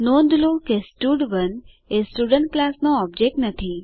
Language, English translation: Gujarati, Please note that stud1 is not the object of the Student class